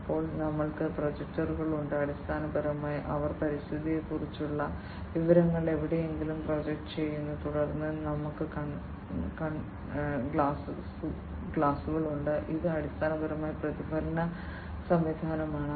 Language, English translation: Malayalam, Then we have the projectors, these projectors, basically, they project the information about the environment to somewhere and then we have the mirrors this is basically the reflection system